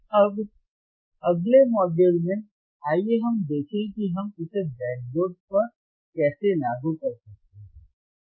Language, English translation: Hindi, Now, in the next module, let us see how we can implement this on the breadboard